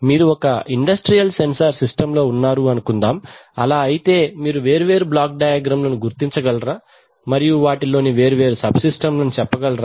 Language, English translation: Telugu, Let us say you locate some industrial sensor and then try to identify that what are the various block diagrams, and what are the various subsystems in it, what are their functions